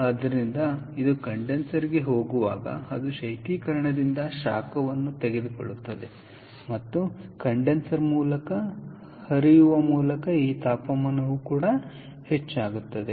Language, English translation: Kannada, so as it goes to the condenser, it picks up heat from the refrigerant and this temperature goes up, ok, by flowing through the condenser